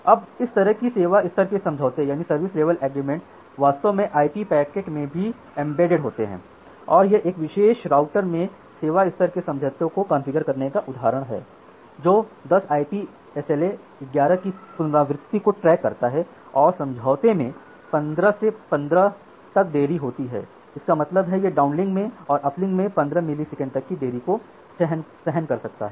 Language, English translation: Hindi, Now, this kind of service level agreements are actually also embedded in the IP packets and this is one example of configuring service level agreement in a particular router that track 10 IP SLA 11 reachability and agreement is delay down 15 up 15; that means, in the downlink it can tolerate up to 15 millisecond delay in uplink it can also tolerate into up to 15 milliseconds of delay